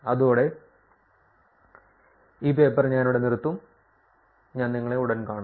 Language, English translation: Malayalam, With that, I will stop here for this paper, and I will see you soon